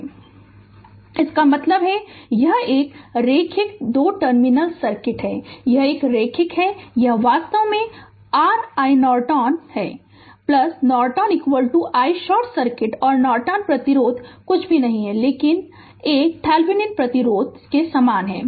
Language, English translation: Hindi, That means, this is a linear 2 terminal circuit right this is a linear this is your i Norton actually i Norton is equal to i short circuit right and Norton resistance is nothing, but a Thevenin resistance is same right